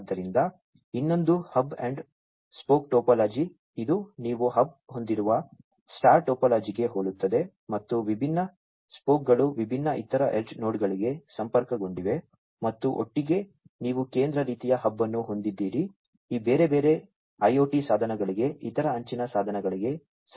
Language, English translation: Kannada, So, the other one is the hub and spoke topology, which is very similar to the, the star topology where you have the hub and there are different spoke, spoke are basically connected to the different other edge nodes and together, you know, you have a central kind of hub device connecting to these different other IoT devices, other edge devices and so on